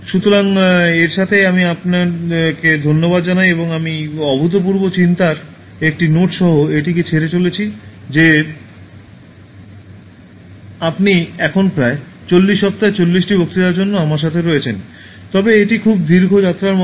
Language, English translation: Bengali, So, with this, I thank you and I leave this with a note of overwhelming thought that you have been with me now for the 40 lectures about 8 weeks, but it is like a very long journey